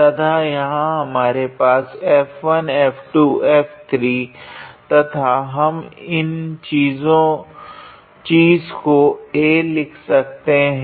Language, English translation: Hindi, And there we had F1 F2 F3 and we can write this thing as a